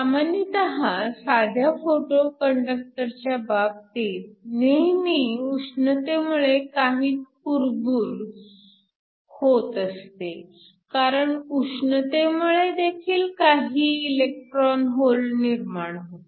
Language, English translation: Marathi, Usually, in the case of a simple photo conductor there will always be some thermal noise, because you will always have some thermally generated electrons and holes